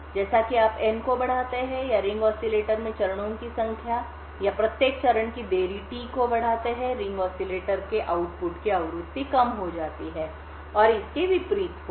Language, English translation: Hindi, As you increase n, the number of stages in the ring oscillator or t the delay of each stage, the frequency of the output of the ring oscillator would reduce and vice versa